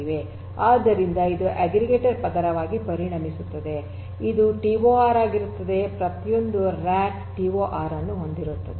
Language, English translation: Kannada, So, this becomes your aggregation layer, this becomes your TOR so, servers in a rack each rack having a TOR